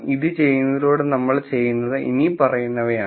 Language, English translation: Malayalam, By doing this what we are doing is the following